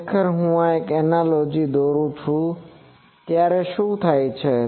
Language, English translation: Gujarati, Actually, I draw an analogy what happens